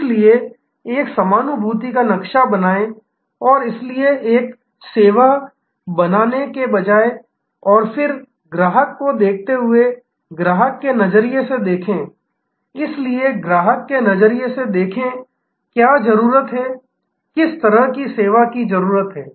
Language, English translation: Hindi, So, create an empathy map and so instead of creating a service and then, looking at the customer, look from customer perspective, so look from customers perspective, what is needed, what sort of service is needed